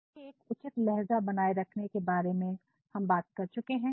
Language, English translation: Hindi, And then we also talked about maintaining a proper tone